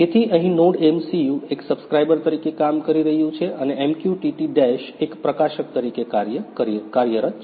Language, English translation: Gujarati, So, here NodeMCU is working as a subscriber and MQTT Dash is working as a publisher